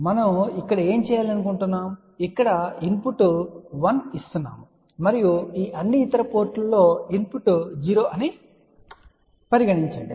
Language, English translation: Telugu, So, what we want to do here let us say input is 1 and the input at all these other ports is 0